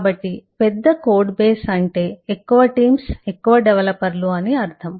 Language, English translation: Telugu, so large code bases would mean large teams, more developers